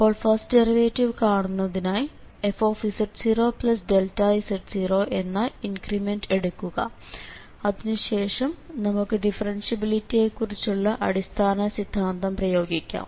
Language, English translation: Malayalam, From here we can derive its first derivative and then it can be generalized, so for the first derivative let us just make an increment here fz 0 plus delta z and then we will apply the fundamental theorem of differentiability